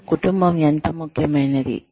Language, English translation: Telugu, How important is family to you